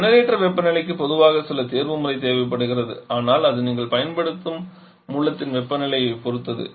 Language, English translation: Tamil, And generator temperature that generally requires some optimisation but still it depends more on the temperature of the source that you are using